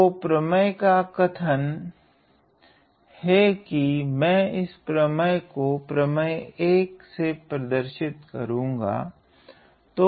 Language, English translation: Hindi, So, the theorem says, I am going to denote this theorem by theorem 1